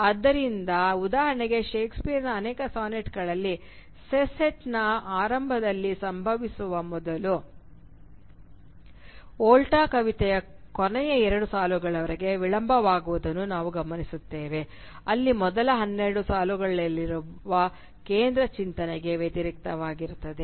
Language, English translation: Kannada, So, for instance, in many of Shakespeare’s sonnets we notice that the Volta rather than occurring at the beginning of the sestet is delayed till the very last two lines of the poem where the central thought put forward by the first twelve lines are reversed